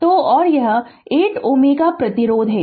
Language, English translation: Hindi, So, and this is 8 ohm resistance